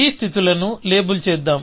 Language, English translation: Telugu, Let me label these states